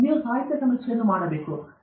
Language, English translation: Kannada, Then, you will do the literature survey